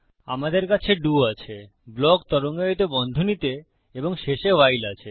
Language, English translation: Bengali, We have DO, our block with the curly brackets, and WHILE at the end